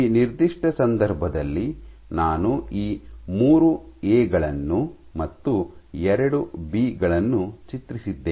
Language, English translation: Kannada, So, in this particular case I have drawn these 3 As and 2 Bs